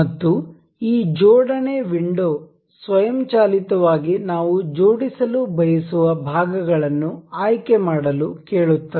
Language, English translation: Kannada, And this assembly window will automatically ask us to select the parts that have that we wish to be assembled